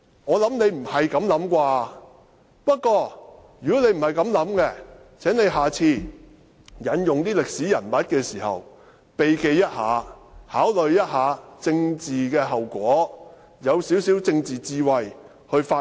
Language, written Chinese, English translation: Cantonese, 我想他不是這種想法，不過，如果他不是這樣想，請他下次引用歷史人物時有所避忌，考慮一下政治後果，運用少許政治智慧去發言。, I think this is not what he has in mind . Nonetheless if thats not what he thinks would he please avoid certain topics next time when he quotes a historical figure . He should think about the political consequences and speak with a little political wisdom